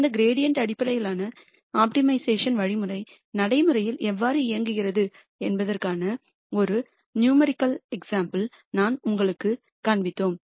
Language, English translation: Tamil, And then we showed you a numerical example of how actually this gradient based optimization algorithm works in practice